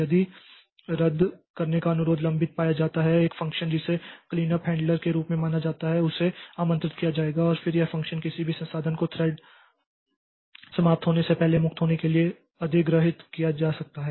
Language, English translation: Hindi, If a cancellation request is found to be pending a function known as cleanup handler is invoked and then this function allows any resources a thread may have acquired to be released before the thread is terminated